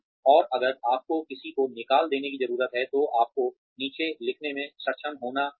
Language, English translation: Hindi, And, if you need to fire somebody, you need to be, able to write down